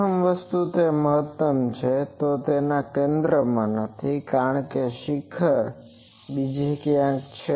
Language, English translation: Gujarati, It is the maximum is not at the center first thing, because peak is somewhere else